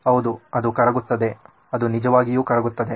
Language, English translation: Kannada, Yes, it melts, it can actually melt